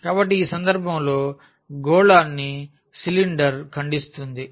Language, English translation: Telugu, So, in this case the sphere was cut by the cylinder